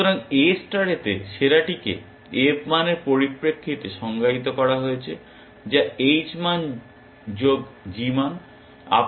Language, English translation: Bengali, So, in A star the best is defined in terms of the f value, which is h value plus g value